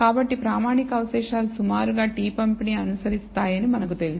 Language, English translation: Telugu, So, the standardized residual roughly follow we know it follows a t distribution